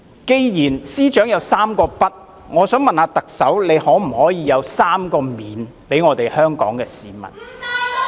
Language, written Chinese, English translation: Cantonese, 既然司長提到"三個不"，我想問特首可否給香港市民"三個免"......, Noting the Three Uns as depicted by the Chief Secretary I wonder if the Chief Executive can offer Hong Kong people Three guarantees